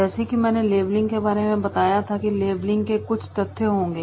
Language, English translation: Hindi, As I mention in the labelling there will be what are the facts